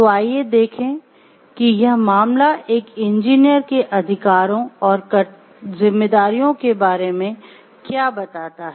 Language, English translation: Hindi, So, let us look into what the case tells us about the rights and responsibilities of a engineer